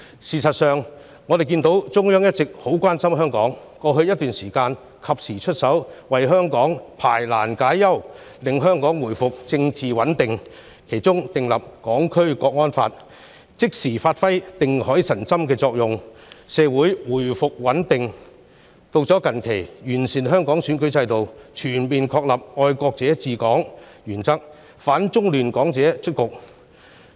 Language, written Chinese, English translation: Cantonese, 事實上，中央一直很關心香港，兩度出手為香港排難解憂，令香港回復政治穩定：第一，訂立《香港國安法》能夠即時發揮定海神針的作用，令香港社會回復穩定；第二，制訂完善香港選舉制度，全面確立"愛國者治港"原則，亦令反中亂港者出局。, In fact the Central Authorities have all along been very concerned about Hong Kong and made efforts on two occasions to solve Hong Kongs problems and restore its political stability . Firstly the enactment of the National Security Law has immediately provided a stabilizing effect to restore stability in Hong Kong society . Secondly the introduction of an improved electoral system of Hong Kong to fully establish the principle of patriots administering Hong Kong has also ousted anti - China disruptors from the system